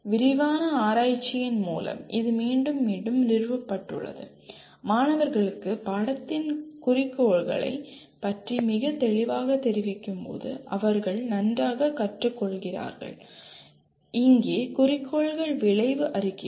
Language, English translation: Tamil, This has been repeatedly established through extensive research the students learn lot better when they are informed very clearly about the goals of the course and here the goals are outcome statements